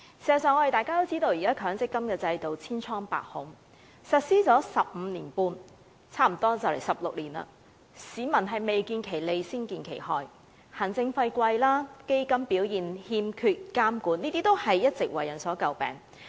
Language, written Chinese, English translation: Cantonese, 事實上，現時的強積金制度千瘡百孔，實施了十五六年，市民未見其利，先見其害，行政費高昂、投資的基金欠缺監管等弊端，一直為人詬病。, In fact the existing MPF System is fraught with loopholes and mistakes . It has been in place for 15 or 16 years but members of the public have suffered losses before they can actually benefit from it . Such drawbacks as high administration fees and the lack of supervision over funds invested have all along been causes of criticism